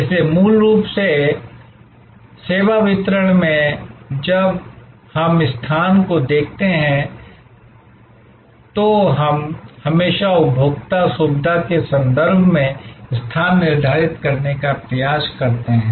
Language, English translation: Hindi, So, fundamentally therefore in service distribution, when we look at location, we always try to determine the location in terms of the consumer convenience